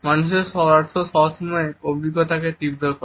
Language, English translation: Bengali, Human touch always intensifies experiences